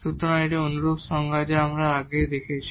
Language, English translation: Bengali, So, this is a similar definition what we have earlier